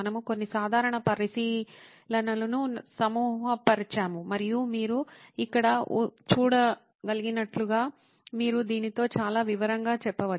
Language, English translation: Telugu, We were sort of grouping some of the common observations and you can be very detailed with this as you can see here